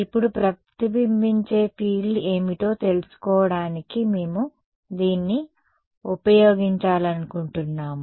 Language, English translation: Telugu, Now, we want to use this to find out, what is the reflected field